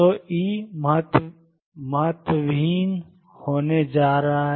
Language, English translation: Hindi, So, E is going to be insignificant